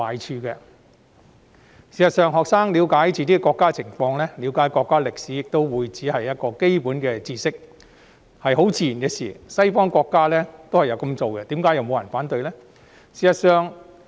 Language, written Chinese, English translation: Cantonese, 事實上，讓學生了解自己的國家及國家歷史只是基本知識，是自然不過的事，西方國家也有這樣做，並沒有人反對。, It is actually basic knowledge and only natural for students to understand their own country and its history . Western countries also do so and there is no opposition at all